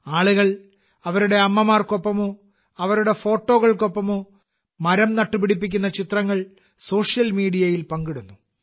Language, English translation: Malayalam, On social media, People are sharing pictures of planting trees with their mothers or with their photographs